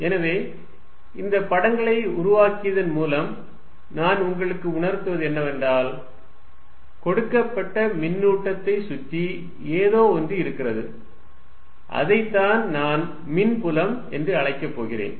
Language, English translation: Tamil, So, by making these pictures, what I am making you feel is that, something exists around a given charge and that is what I am going to call electric field